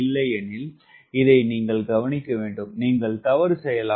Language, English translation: Tamil, that is, you must note that, otherwise you may commit mistakes